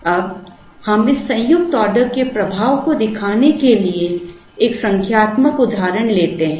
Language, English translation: Hindi, Now, we take a numerical example, to show the effect of this joint ordering